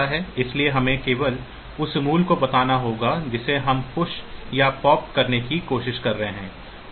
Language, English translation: Hindi, So, we have to just tell the value that we are trying to push or pop